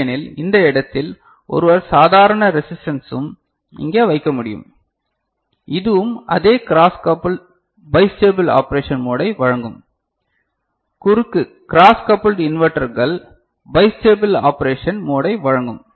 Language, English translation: Tamil, Otherwise, one can make a normal resistor also in this place and this will also provide the same cross coupled bistable mode of operation, cross coupled inverters providing bistable mode of operation ok